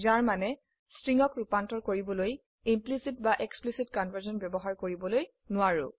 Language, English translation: Assamese, This means for converting strings, we cannot use implicit or explicit conversion